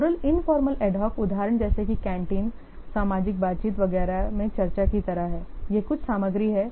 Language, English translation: Hindi, Oral informal ad hoc example is like my discussion in canteen, social interaction etc